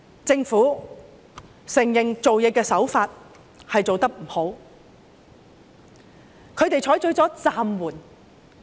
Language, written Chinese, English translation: Cantonese, 政府承認處事手法做得不好，他們採取了"暫緩"。, The Government has admitted the approach adopted in handling the issue is unsatisfactory . They have adopted the wording suspended